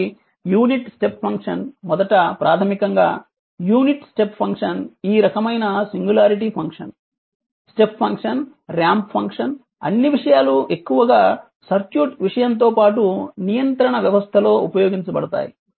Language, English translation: Telugu, So, unit step function first right basically unit step function this kind of singularity function step function, ramp function all set of things you will find mostly used in the circuit thing as well as in the control system right